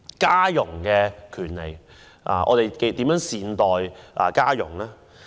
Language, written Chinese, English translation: Cantonese, 家傭的權利方面，我們如何善待家傭？, Regarding the rights of domestic helpers have we treated them well?